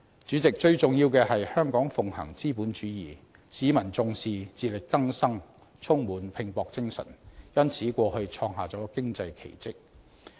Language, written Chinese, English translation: Cantonese, 主席，最重要的是，香港奉行資本主義，市民重視自力更生，充滿拼搏精神，因此過去創下了經濟奇蹟。, President the most important point is that Hong Kong practises capitalism and the public give high regard to self - reliance and are filled with the can - do spirit and these have enabled the miraculous economic achievements in the past